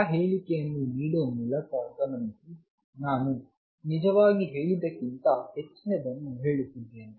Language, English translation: Kannada, Notice by making that statement I am actually saying much more than what I just state it